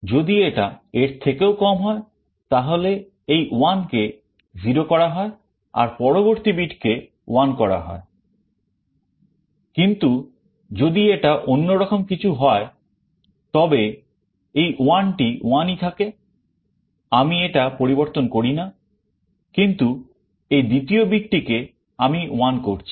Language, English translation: Bengali, If it is less than this 1 is made 0 and the next bit is made 1, but if it is the other way round this 1 remains 1, I do not change, but the second bit only I am making 1